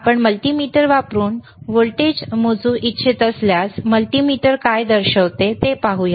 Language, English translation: Marathi, iIf you want to measure the voltage using the multimeter, all right